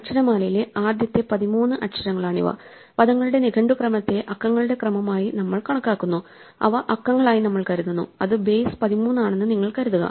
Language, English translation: Malayalam, So, these are the first thirteen letters of the alphabet and we treat the dictionary order of words as the ordering of numbers, we think of them as digits if you want to think of it is base thirteen